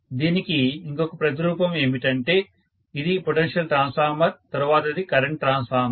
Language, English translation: Telugu, The other counterpart of this is, this is potential transformer, the next one is current transformer